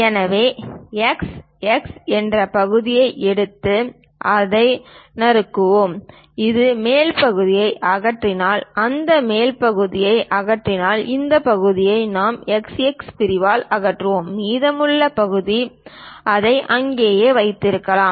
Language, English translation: Tamil, So, let us take a section x x, slice it; remove this top portion, so that if we remove that top portion, perhaps this part we have removed it by section x x and the remaining part perhaps kept it there